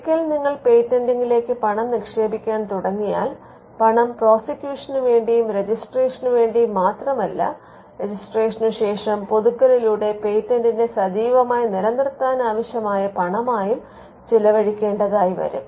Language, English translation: Malayalam, Once you start investing money into patenting then the money is like it will incur expenses not just in the form of prosecution and registration, but also after registration they could be money that is required to keep the patent alive through renewals; there will be renewal fees